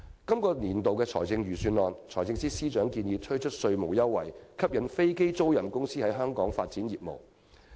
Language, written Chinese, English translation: Cantonese, 財政司司長在本年度的預算案建議推出稅務優惠，以吸引飛機租賃公司在香港發展業務。, In this years Budget the Financial Secretary proposes to attract aircraft leasing companies to develop their business in Hong Kong by the offer of tax concessions